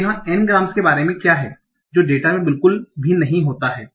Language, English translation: Hindi, So what about the n grams that did not occur at all in my training data